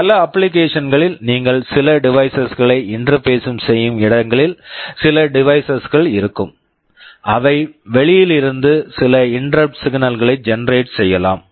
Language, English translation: Tamil, In many applications wherever you are interfacing some devices, there will be some devices that can be generating some interrupt signals from outside